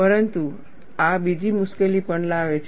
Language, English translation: Gujarati, But this also brings in another difficulty